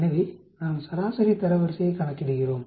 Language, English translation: Tamil, How do you calculate median rank